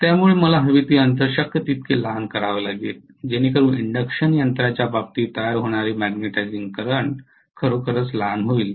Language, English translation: Marathi, So I have to make the air gap as small as possible so that the magnetizing current drawn in the case of an induction machine becomes really really small as small as possible